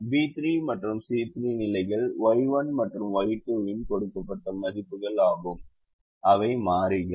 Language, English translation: Tamil, the positions b three and c three are the given values of y one and y two, which are the variables